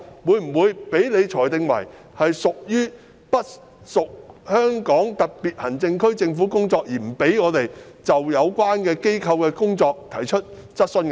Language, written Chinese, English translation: Cantonese, 會否被你裁定為不屬香港特別行政區政府的工作而不准許我們就有關機構的工作提出質詢？, Will you rule that the task is beyond the purview of the SAR Government so you will not allow us to ask questions concerning the work of the relevant institutions?